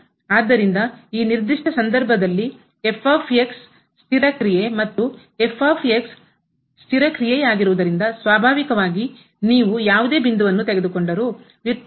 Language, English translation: Kannada, So, in this particular case is the constant function, and since is the constant function naturally whatever point you take the derivative is going to be